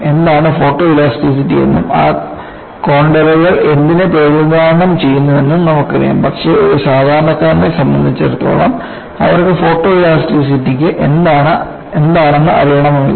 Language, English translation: Malayalam, You know what is photoelasticity and what those contours represent, but for a general audience, they may not have an exposure to photoelasticity